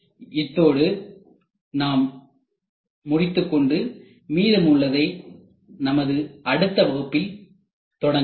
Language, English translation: Tamil, So, we would stop here we will continue in the next class